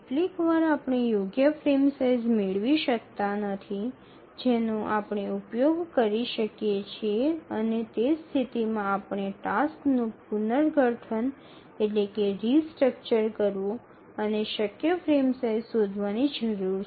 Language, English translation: Gujarati, Sometimes we don't get correct frame size that we can use and in that case we need to restructure the tasks and again look for feasible frame size